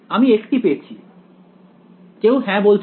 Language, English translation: Bengali, I get one no anyone saying yes